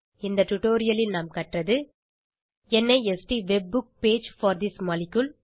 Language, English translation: Tamil, In this tutorial we have learnt * NIST WebBook page for this molecule